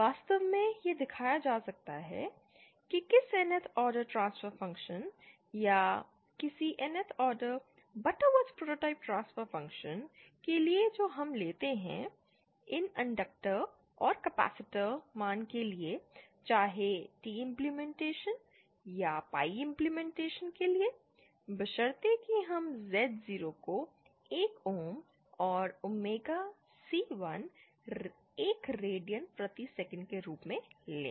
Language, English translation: Hindi, This is my Zin, had I taken the negative value in the numerator, then the realisation would beÉ In fact it can be shown that for any Nth order transfer function or any Nth order Butterworth prototype transfer function that we take, the values of these inductors and capacitors, whether for the T implementation or the pie implementation, provided we take Z0 as 1 ohms and omega C1 radians per second